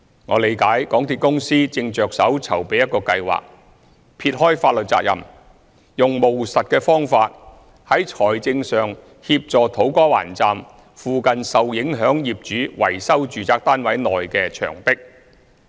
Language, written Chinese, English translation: Cantonese, 我理解港鐵公司正着手籌備一個計劃，撇開法律責任，用務實的方法在財政上協助土瓜灣站附近的受影響業主維修住宅單位內的牆壁。, I have been given to understand that MTRCL is working on a scheme putting aside legal liabilities to provide financial assistance in a pragmatic manner for affected owners near To Kwa Wan Station to repair the walls in their flats